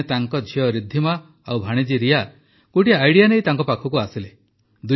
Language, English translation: Odia, One day his daughter Riddhima and niece Riya came to him with an idea